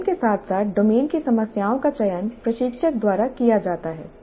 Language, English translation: Hindi, The domain as well as the problems in the domain are selected by the instructor